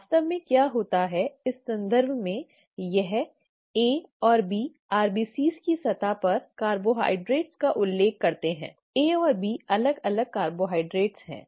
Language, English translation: Hindi, In terms of what actually happens, this A and B refer to carbohydrates on the surface of RBCs, A and B are different carbohydrates